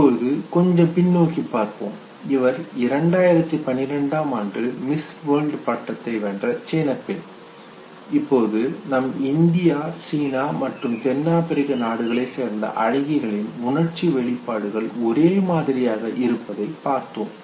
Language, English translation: Tamil, Now let us go little back know, 2012 Miss World winner, who was from China, now you have models from India, China, South Africa all of them expressing themselves the same way okay